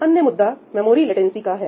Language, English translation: Hindi, Another issue is memory latency